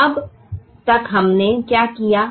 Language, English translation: Hindi, now, so far, what have we done